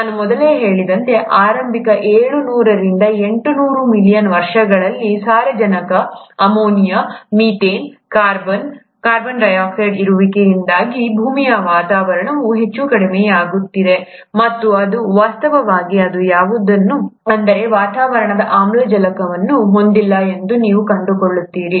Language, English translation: Kannada, As I mentioned earlier, it is in, in the initial seven hundred to eight hundred million years, you would find that the earth’s atmosphere was highly reducing because of presence of nitrogen, ammonia, methane, carbon dioxide, and it actually did not have any atmospheric oxygen